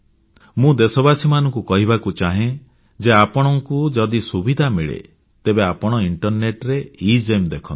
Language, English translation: Odia, Here I want to tell my countrymen, that if you get the opportunity, you should also visit, the EGEM, EGEM website on the Internet